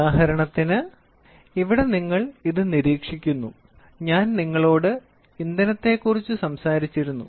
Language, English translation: Malayalam, For example here this is monitoring I was talking to you about fuel